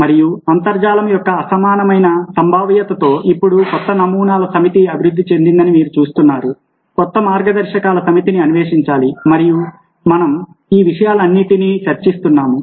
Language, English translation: Telugu, ok, and with the unparalleled of the web, you see that now a set of new paradigms have evolved, a set of new guidelines have to be explored, and that's the reason we are discussing all those things now